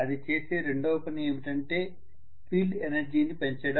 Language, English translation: Telugu, The second task it is doing is to increase the field energy